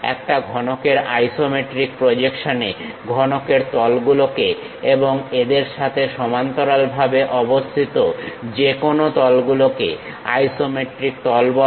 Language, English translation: Bengali, In an isometric projection of a cube, the faces of the cube and any planes parallel to them are called isometric planes